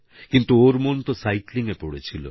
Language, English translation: Bengali, But young David was obsessed with cycling